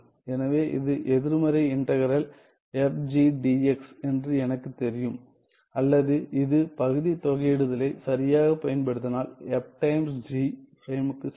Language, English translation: Tamil, So, I get that this is negative integral f g dx or this is also equal to negative bracket f well sorry this is f times g prime properly using the integration by parts